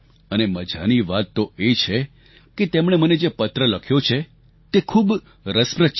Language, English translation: Gujarati, And the best part is, what she has written in this letter is very interesting